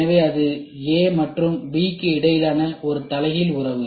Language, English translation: Tamil, So, it is an inverse relationship between A and B